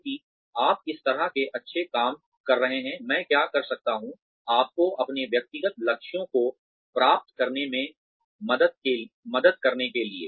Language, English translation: Hindi, Since, you are doing such good work, what can I do, to help you achieve, your personal goals